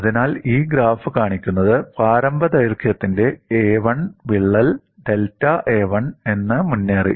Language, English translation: Malayalam, So, what this graph shows is a crack of initial length a 1 has advanced by delta a 1